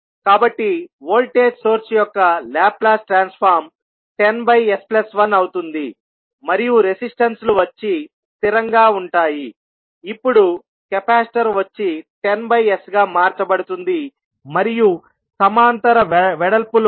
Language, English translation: Telugu, So, the Laplace transform of the voltage source will become 10 upon s plus 1 and then resistances will remain same, the capacitor now will get converted into the 1 upon sc would be nothing but the 10 by s, and in parallel width you will have one current source having 0